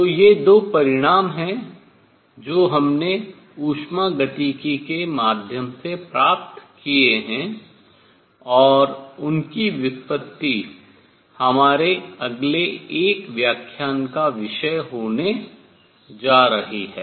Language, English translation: Hindi, So, these are the two results that we have obtained through thermodynamics, and their derivation is going to be subject of our lecture in the next one